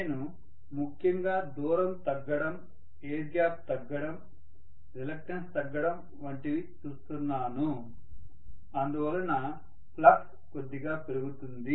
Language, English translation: Telugu, Because I am essentially looking at the distance decreasing, the air gap decreasing, the reluctance decreasing because of which I should have the flux increasing slightly